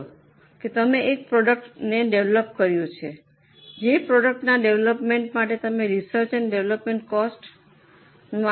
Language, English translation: Gujarati, For development of the product, you have incurred research and development cost of 10 lakhs